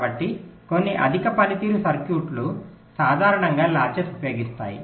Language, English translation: Telugu, so some high performance circuits typically use latches